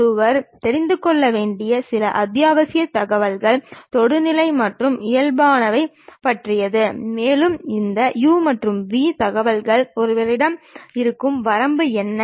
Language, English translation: Tamil, Some of the essential information what one should really know is about tangent and normals, and what is the range these u and v information one will be having